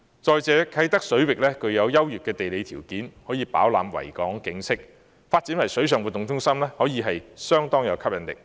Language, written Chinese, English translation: Cantonese, 再者，啟德水域具有優越的地理條件，可以飽覽維港景色；發展為水上活動中心，具有相當吸引力。, Furthermore with excellent geographical conditions for a panoramic view of Victoria Harbour the waters around Kai Tak will be quite attractive if developed into a water sports centre